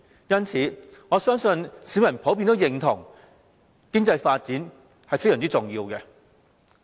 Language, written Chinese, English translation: Cantonese, 因此，我相信市民普遍認同經濟發展非常重要。, Therefore I think people in general recognize the significance of economic development